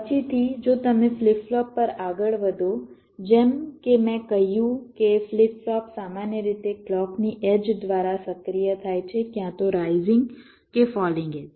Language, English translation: Gujarati, ok, later on, if you move on the flip flopping, as i said, flip flops are typically activated by the edge of the clock, either the rising or the falling edge